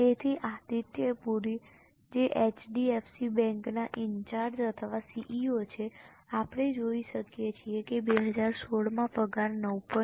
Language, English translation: Gujarati, So, Adityapuri, who is in charge of or CEO of HDFC bank, you can see the salary for 2016 was 9